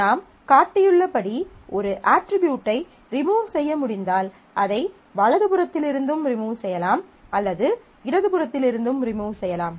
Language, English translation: Tamil, So, if I can remove an attribute as I have shown I can remove it from the right hand side or I can remove it from the left hand side